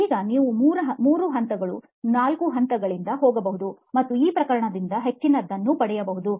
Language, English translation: Kannada, Now you could go three levels, four levels and get more out of this case